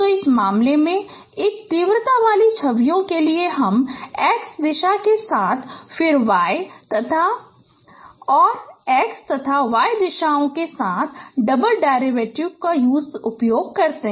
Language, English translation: Hindi, So in this case if for an intensity images you perform double derivative along x direction then along x and y, y and x and x and y directions